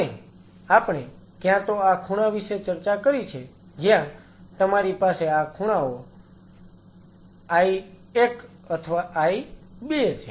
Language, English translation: Gujarati, And we talked about either this corner where you have either I 1 or this corner I 2